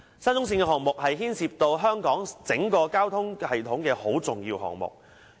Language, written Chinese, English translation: Cantonese, 沙中線項目是牽涉香港整個交通系統的重要項目。, SCL is an important project which has a bearing on the entire transport system of Hong Kong